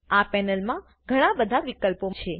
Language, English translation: Gujarati, There are several options in this panel